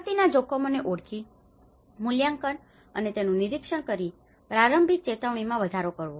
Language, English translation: Gujarati, Identify, assess, and monitor disaster risks and enhance early warning